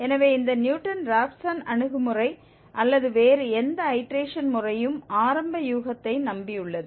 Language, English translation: Tamil, So, this Newton Raphson approach or any other iteration method relies on the initial guess